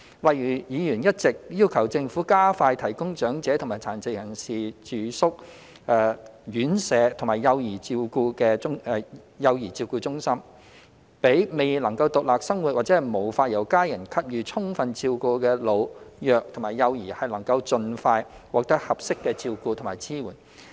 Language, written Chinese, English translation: Cantonese, 例如，議員一直要求政府加快提供長者和殘疾人士住宿院舍及幼兒照顧中心，讓未能獨立生活或無法由家人給予充分照顧的老、弱和幼兒能夠盡快獲得合適的照顧和支援。, For example Members have been calling on the Government to expedite the provision of residential care homes for the elderly and people with disabilities as well as child care centres so that the elderly the vulnerable and young children who cannot live independently or cannot be adequately cared for by their families can receive appropriate care and support as soon as possible